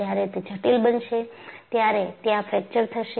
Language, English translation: Gujarati, And eventually, when it becomes critical, fracture will occur